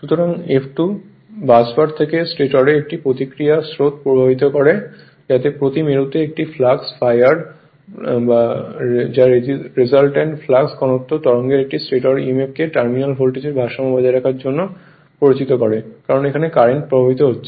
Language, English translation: Bengali, So, F2 causes a reaction currents to flow into the stator from the busbar such that the flux per pole that is a phi r of the resulting flux density wave induces a stator emf to just balance the terminal voltage because now current is flowing through the rotor